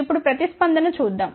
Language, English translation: Telugu, Now, let us see the response